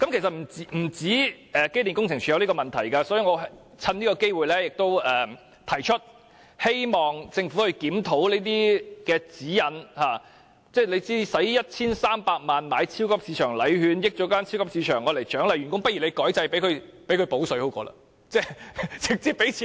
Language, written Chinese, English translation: Cantonese, 其實不單機電署有這個問題，所以我藉此機會提出，希望政府檢討這些指引，為獎勵員工而花 1,300 萬元買超級市場禮券，令大型超級市場受益，不如政府改變制度，"補水"給員工更好，獎金不是比超級市場禮券好嗎？, Therefore I am taking this opportunity to bring up this issue in the hope that the Government will review the guidelines . Instead of spending 13 million on buying supermarket gift coupons as staff reward which would in turn benefit the large supermarkets is it not better for the Government to make changes to the system and offer a cash reward to its staff? . Is a cash reward not better than supermarket gift coupons?